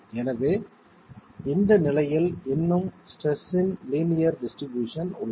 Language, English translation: Tamil, So in this condition we still have linear distribution of stresses